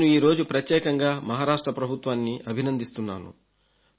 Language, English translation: Telugu, Today I especially want to congratulate the Maharashtra government